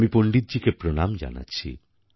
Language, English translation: Bengali, I render my pranam to Pandit ji